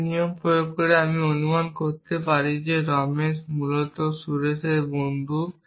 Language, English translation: Bengali, I could infer that Ramesh is the friend of Suresh essentially by applying this rule